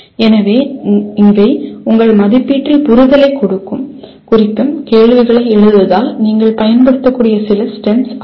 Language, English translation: Tamil, So these are some of the STEMS that you can use in writing questions representing understanding in your assessment